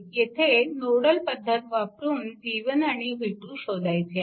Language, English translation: Marathi, So, here you have to find out v 1 and v 2 right using nodal method